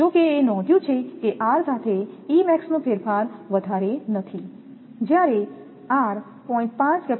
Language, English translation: Gujarati, However, it may be noted that the variation of E max with r is not large, when r changes from 0